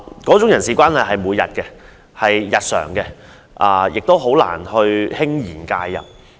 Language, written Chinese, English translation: Cantonese, 這種日常的人事關係，校董會很難輕言介入。, IMCs can hardly interfere in this kind of daily interactions among various staff